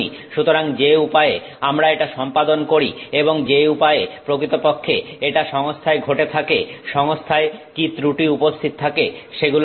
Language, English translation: Bengali, So, the way we accomplish this and the way it is actually happening in the system it has got to do with what defects are present in the system